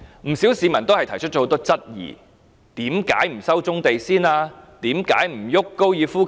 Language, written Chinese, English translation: Cantonese, 不少市民提出很多質疑，為甚麼不先回收棕地？, Not a few people have raised many queries . Why do the brownfield sites not be resumed first?